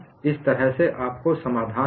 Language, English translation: Hindi, That is how you have got a solution